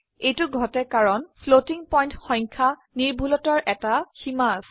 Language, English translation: Assamese, This happens because there is a limit to the precision of a floating point number